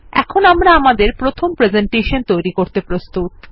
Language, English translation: Bengali, We are now ready to work on our first presentation